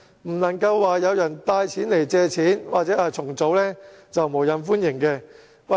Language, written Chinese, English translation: Cantonese, 不能有人帶人來借錢或重組便無任歡迎。, They should not welcome every person brought before them for a loan or debt restructuring